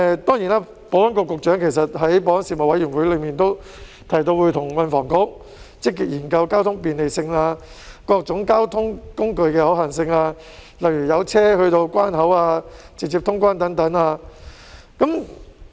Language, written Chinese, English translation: Cantonese, 當然，保安局局長在保安事務委員會上也提到，會跟運輸及房屋局積極研究交通便利性、各種交通工具的可行性，例如有車到達關口、直接通關等。, Admittedly the Secretary for Security has also mentioned in the Panel on Security that he will engage with the Transport and Housing Bureau to actively explore the possibilities of transport facilitation and the feasibilities of various transport means such as direct vehicular access and on - board clearance of passengers